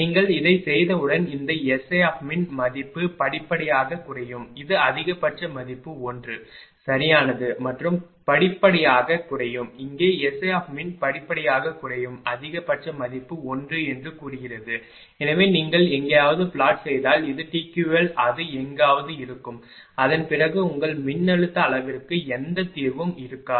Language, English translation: Tamil, And once you are doing it that you will find this S I min value gradually will decrease this is the maximum value 1, right and gradually it will decrease and here also S I mean gradually decreasing maximum value is say 1 right therefore, this is TQL if you plot somewhere it will come somewhere you will find after that there will be no solution for your that voltage magnitude